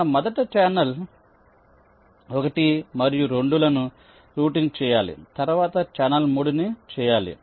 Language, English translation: Telugu, so we said that we have to first route channel one and two, followed by channel three